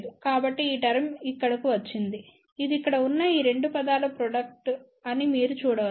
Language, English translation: Telugu, So, hence this term comes over here you can see that is a product of these 2 terms over here